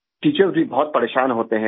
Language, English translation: Urdu, Teachers also get upset